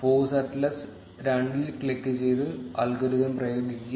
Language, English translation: Malayalam, Click on forceatlas 2 and apply the algorithm